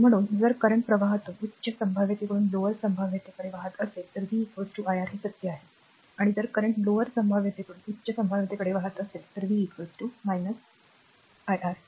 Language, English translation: Marathi, So, in therefore, your this if current flows from a higher potential to lower potential, right v is equal to iR it is true and if current flows from a lower potential to higher potential, then v is equal to minus R